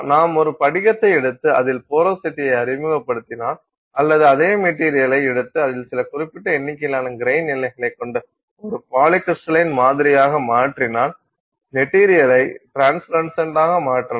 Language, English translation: Tamil, If you take a single crystal and introduce porosity in it or you take the same material and make it a polycrystalline sample with some limited number of grain boundaries in it you can make the material translucent